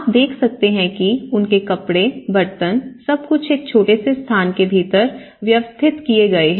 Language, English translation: Hindi, You can see that the clothes, their utensils you know and this everything has been managed within that small space